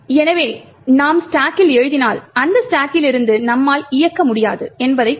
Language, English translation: Tamil, So, if you write to the stack it would imply that you cannot execute from that stack